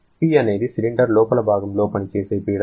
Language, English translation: Telugu, P is the pressure that is acting on an inner side of the cylinder